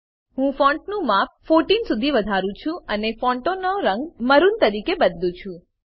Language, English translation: Gujarati, I will increase font size to 14 and change the font color to maroon